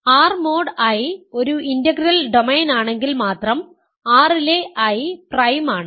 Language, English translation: Malayalam, I in R is prime if and only if R mod I is an integral domain